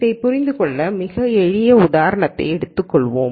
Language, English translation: Tamil, Let us take a very simple example to understand this